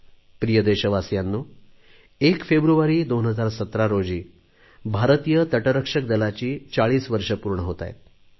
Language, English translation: Marathi, My dear countrymen, on 1st February 2017, Indian Coast Guard is completing 40 years